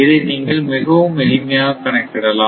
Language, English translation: Tamil, So, this is the way that we can calculate